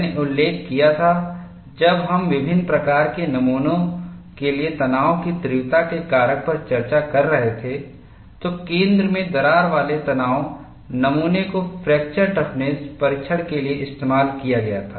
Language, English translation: Hindi, And I had mentioned, when we were discussing the stress intensity factor for variety of specimens, the center cracked tension specimen was used for fracture toughness testing